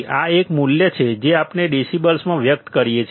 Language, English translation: Gujarati, This is a value that we express in decibels